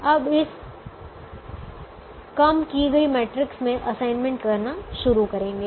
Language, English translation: Hindi, now start making assignments in this reduced matrix